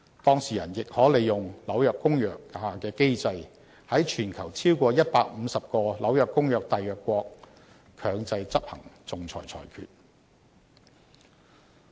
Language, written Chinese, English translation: Cantonese, 當事人亦可利用《紐約公約》下的機制，在全球超過150個《紐約公約》締約國強制執行仲裁裁決。, The parties can also make use of the mechanism under the New York Convention to enforce the arbitral awards in over 150 countries around the world that are parties to the New York Convention